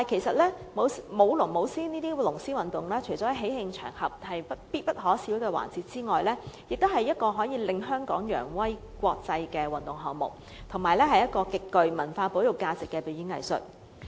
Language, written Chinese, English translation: Cantonese, 不過，舞龍舞獅等龍獅運動除了是喜慶場合必不可少的環節之外，也是一項可令香港揚威國際的運動項目，而且是一個極具文化保育價值的表演藝術。, While dragon and lion dance is an essential activity during joyous occasions it is also a sports event in which Hong Kong athletes can excel in the international arena and a kind of performing arts with high cultural conservation values